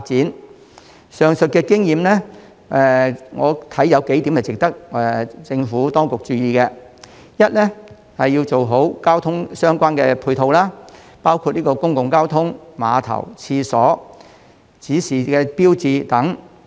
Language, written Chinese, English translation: Cantonese, 我認為上述經驗有幾點值得政府當局注意：第一，要做好相關的配套設施，包括公共交通、碼頭、廁所、指示標誌等。, I think that a few points drawn from the aforementioned experience warrant the attention of the Administration . Firstly it is necessary to provide the relevant supporting facilities including public transport piers toilets and signage